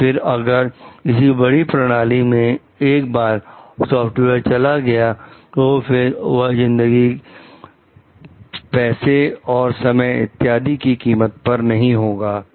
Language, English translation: Hindi, So, that once the software gets embedded in a bigger system it does not cost life, money, time etcetera